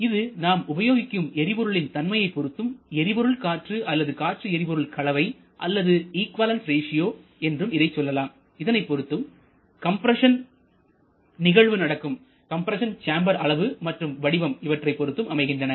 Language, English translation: Tamil, That again is a function of the nature of the fuel that you are using and the fuel air ratio or air fuel ratio or you can say the equivalence ratio that depends on the shape and size of the combustion chamber that you are dealing with